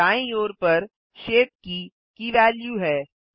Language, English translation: Hindi, On the right side is the value of the shape key